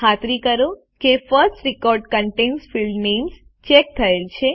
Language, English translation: Gujarati, Ensure that the box First record contains field names is checked